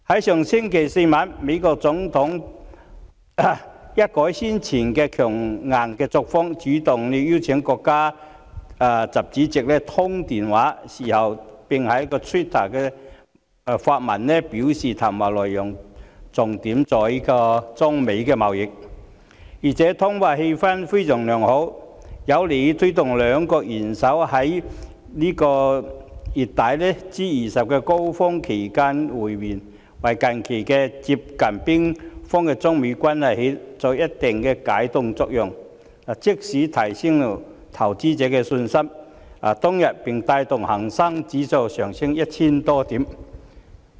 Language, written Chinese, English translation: Cantonese, 上星期四晚上，美國總統一改先前的強硬作風，主動邀請國家主席習近平通電話，事後還在 Twitter 發文，表示談話內容重點在於中美貿易，而且通話氣氛非常良好，有利推動兩國元首在本月底 G20 峰會期間會面，為近期接近冰封的中美關係發揮一定的解凍作用，即時提升投資者的信心，當天更帶動恒生指數上升 1,000 多點。, In the evening of last Thursday the President of the United States changed the tough stance adopted by him previously and took the initiative to invite the Chinese President XI Jinping to a telephone conversation . Subsequently he wrote in a Twitter post that the conversation was mainly about United States - China trade and that the conversation had moved on nicely and helped promote a meeting between the leaders of the two countries at the Group of Twenty G20 Summit to be held at the end of this month . This produced some sort of a thawing effect on the near - frozen United States - China relationship recently and instantly boosted investor confidence sending the Hang Sang Index up by 1 000 - odd points on the same day